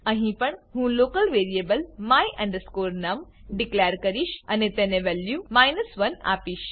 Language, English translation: Gujarati, Here also, I have declare a local variable my num and assign the value 1 to it